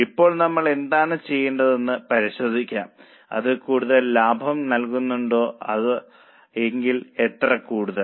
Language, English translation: Malayalam, Now let us check what we have done whether it gives more profitability if yes how much more